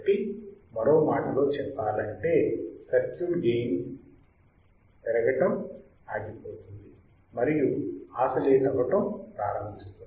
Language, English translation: Telugu, So, in other words the circuit will stop amplifying and start oscillating right